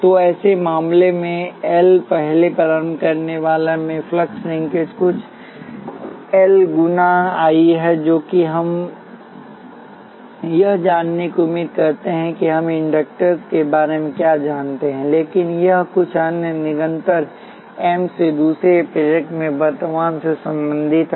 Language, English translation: Hindi, So, in such a case, what happens is that the flux linkage in L first inductor is some L 1 times I 1 which is what we expect knowing what we know about inductors, but it also related to some other constant M times the current in the second inductor